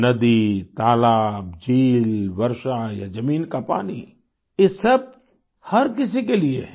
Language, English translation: Hindi, River, lake, pond or ground water all of these are for everyone